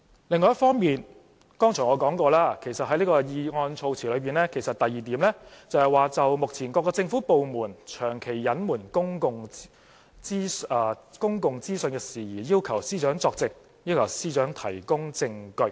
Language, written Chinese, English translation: Cantonese, 另一方面，正如我剛才提及，其實這項議案措辭的第二點是要求司長就"目前各政府部門長期隱瞞公共資訊事宜，作證及提供證據"。, On the other hand as I have just mentioned the second point in the wording of the motion is to request the Secretary for Justice to testify or give evidence on matters related to the persistent withholding of public information by government departments at present